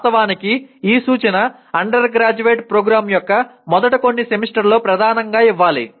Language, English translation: Telugu, In fact this instruction should be given dominantly in the first few semesters of a undergraduate program